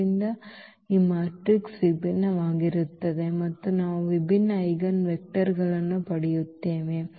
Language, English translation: Kannada, So, this matrix is going to be different and we will get different eigenvectors